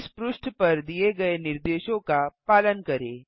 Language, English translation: Hindi, Just follow the instructions on this page